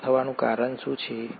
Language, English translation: Gujarati, What is the cause of extinction